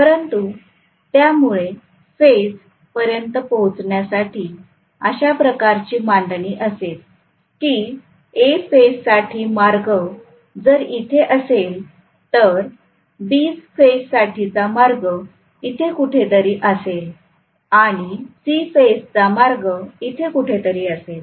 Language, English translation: Marathi, But the axis will be in such a way that if A phase axis is somewhere here, B phase axis will be somewhere here and C phase axis will be somewhere here